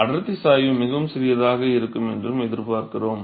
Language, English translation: Tamil, So, we expect that the density gradient also to be very very small